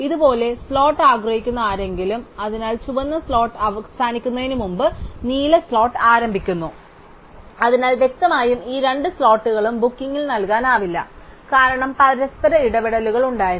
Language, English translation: Malayalam, So, the maybe somebody who wants the slot like this, so the blue slot starts before the red slot ends, so obviously both these slots cannot be in given bookings, because there were interfere with each other